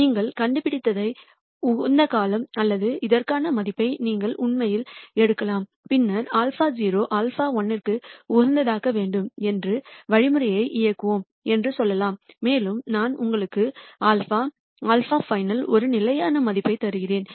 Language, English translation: Tamil, You could either optimization nd out or you could actually pick a value for this and then say let us run the algorithm let us not optimize for this alpha naught alpha 1 and so on, I will give you a xed value of alpha, alpha xed